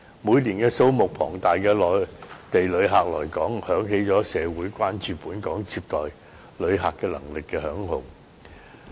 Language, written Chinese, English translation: Cantonese, 每年數目龐大的內地旅客來港，響起了社會關注本港接待旅客能力的警號。, The huge number of Mainland tourists visiting Hong Kong every year has reached an alarming level and raised the popular concern about the visitor receiving capacity of Hong Kong